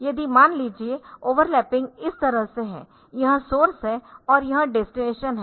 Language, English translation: Hindi, So, over lapping is say like this, this is the source and this is the destination